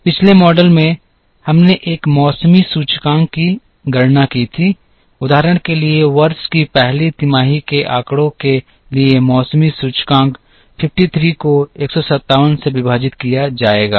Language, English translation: Hindi, In the previous model, we computed a seasonality index, for example seasonality index for the first quarter data of year one would be 53 divided by 157